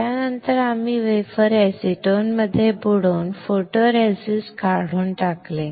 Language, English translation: Marathi, After that we will dip this wafer in acetone, when we dip this wafer in acetone, the photoresist is stripped off